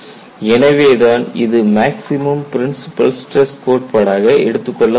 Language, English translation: Tamil, So, that is why this is put as maximum principle stress criterion